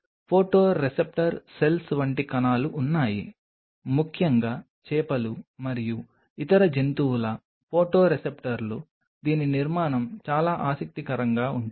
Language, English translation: Telugu, There are cells like photoreceptor cells especially photoreceptors of fishes and other animals whose structure is very interesting